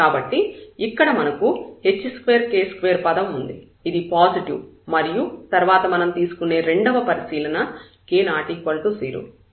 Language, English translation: Telugu, So, we will have here h square r square term, which is positive and then the second observation we will take let us take k is not zero